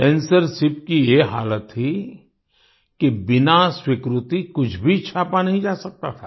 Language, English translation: Hindi, The condition of censorship was such that nothing could be printed without approval